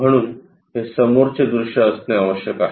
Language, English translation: Marathi, So, this is the front view